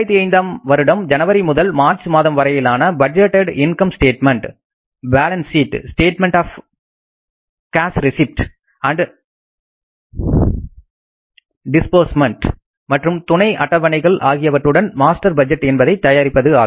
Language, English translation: Tamil, Prepare a master budget including a budgeted income statement, balance sheet, statement of cash receipts and disbursements and supporting schedules for the month of January through March 2005